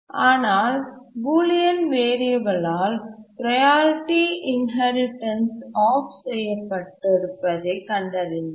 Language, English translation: Tamil, But then they found that the Boolean variable had set the priority inheritance off